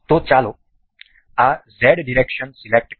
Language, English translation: Gujarati, So, let us select this Z direction